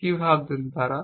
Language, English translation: Bengali, What is thinking